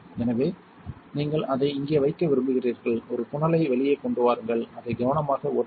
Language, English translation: Tamil, So, you want to put it in here bring out a funnel, carefully pour this in there